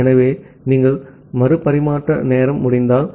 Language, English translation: Tamil, So, if you are having a retransmission timeout